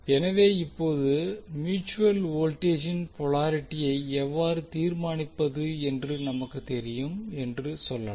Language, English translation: Tamil, So now we can say that we know how to determine the polarity of the mutual voltage